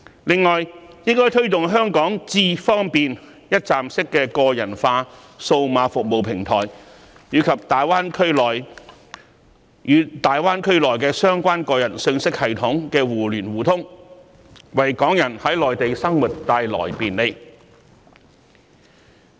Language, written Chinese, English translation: Cantonese, 此外，當局應推動香港"智方便"一站式個人化數碼服務平台與大灣區相關個人信息系統的互聯互通，為港人在內地生活帶來便利。, Moreover the authorities should promote the interconnection and intercommunication of iAM Smart the one - stop personalized digital services platform in Hong Kong with the corresponding personal information systems in GBA so as to facilitate Hong Kong residents who live in the Mainland